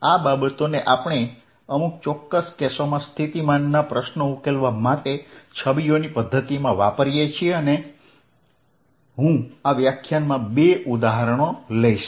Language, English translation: Gujarati, this is what we use in method of images to solve for the potential in certain specific cases and i am going to take two examples in this lectures